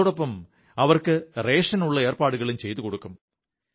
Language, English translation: Malayalam, In addition, rations will be provided to them